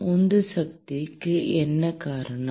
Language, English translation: Tamil, What causes the driving force